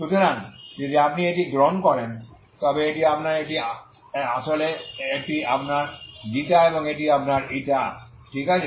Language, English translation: Bengali, So this is how it looks so this is this is the ξ , η so you have this this is your η so this is equal to some η0